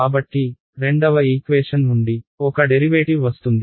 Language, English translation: Telugu, So, one derivative will come from the second equation